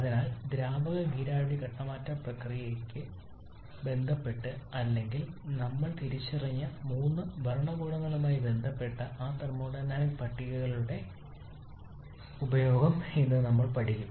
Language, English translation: Malayalam, So today we shall be learning the use of those thermodynamic tables in relation with the liquid vapour phase change process or in relation with the 3 regimes that we have identified but before that we have that critical point to talk about